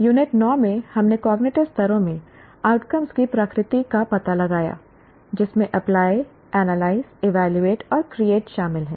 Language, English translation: Hindi, We have, in Unit 9, we explored the nature of outcomes in cognitive levels including apply, analyze, evaluate, and create